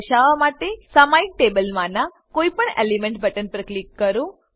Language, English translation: Gujarati, To display it, click on any element button on the periodic table